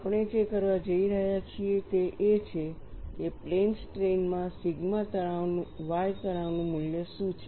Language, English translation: Gujarati, What we are going to do is; what is the value of the sigma y stress in plane strain